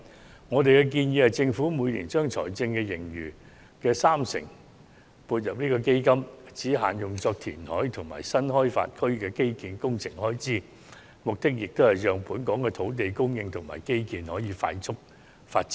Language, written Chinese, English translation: Cantonese, 根據我們的建議，政府應將每年財政盈餘的三成撥入該基金，只限用作應付填海及新開發區的基建工程開支，目的是讓本港可進行快速的土地供應及基建發展。, According to our proposal the Government should inject 30 % of our annual fiscal surplus into the fund which will be used exclusively for meeting the costs of reclamation projects and infrastructure projects in new development areas so that we can expedite land supply and infrastructure development in Hong Kong